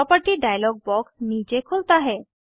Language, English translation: Hindi, The property dialog box opens below